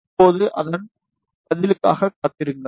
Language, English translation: Tamil, Now, just wait for its response